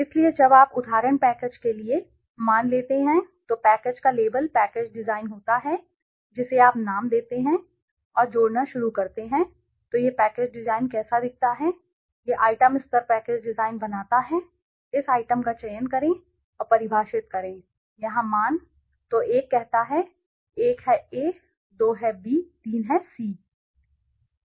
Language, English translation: Hindi, So, once you have suppose for the package for example package so the label of the package is package design you name it and start adding right so how does it look a package design this creates the item level package design select this item ok and define the values here so one let s say one is A two is B three is C